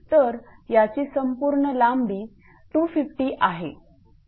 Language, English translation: Marathi, So, naturally total is 250